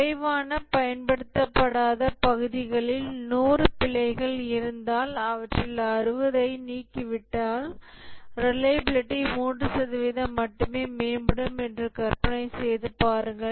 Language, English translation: Tamil, Just imagine that if there are 100 bugs in the least used parts, that is non core, and you remove 60 of them, the reliability improves by only 3%